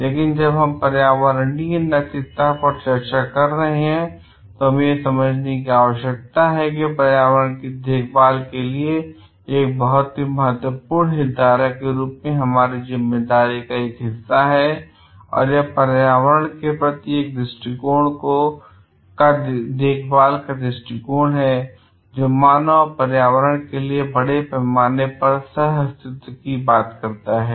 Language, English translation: Hindi, But when we are the do discussing environmental ethics, we need to understand like it is a part of our responsibility to take care of the environment itself as a very important stakeholder and it is a caring perspective towards the environment, it which talks of the mutual coexistence of the human beings and the environment at large together